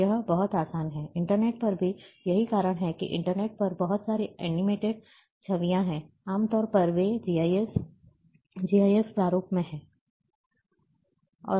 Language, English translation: Hindi, And it is very easy, on internet as well, that is why lot of animated images on internet you see, generally they are in the GIF format